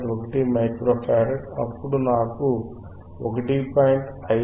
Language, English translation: Telugu, 1 micro farad, then I get value of 1